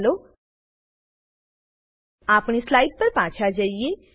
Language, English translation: Gujarati, Let us go back to our slide and summarise